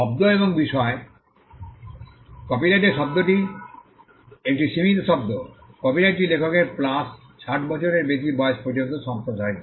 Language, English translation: Bengali, Term and subject matter: the term of a copyright is a limited term; the copyright extends to the life of the author plus 60 years